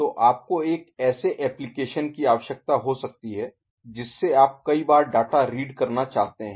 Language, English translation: Hindi, So, you may need in an application that you want to read the data multiple times